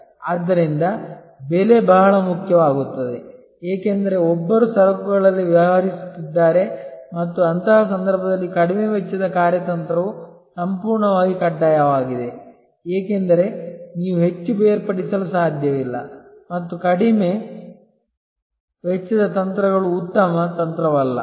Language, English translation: Kannada, So, price becomes very important, because one is dealing in commodity and in such a case low cost strategy is absolutely imperative, because you cannot very much differentiate and; Low cost strategies not a very good strategy,